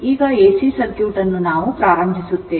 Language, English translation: Kannada, Now, we will start for your AC circuit